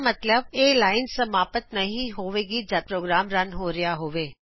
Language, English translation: Punjabi, It means, this line will not be executed while running the program